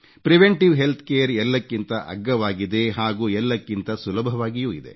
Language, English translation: Kannada, Preventive health care is the least costly and the easiest one as well